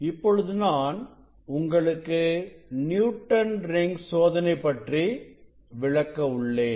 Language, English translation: Tamil, now I will demonstrate the experiment Newton s Rings Experiment